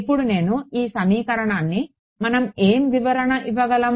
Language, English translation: Telugu, Now, what am I can we give a interpretation to this equation